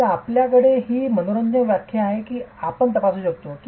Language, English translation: Marathi, We have this interesting numbers that we can examine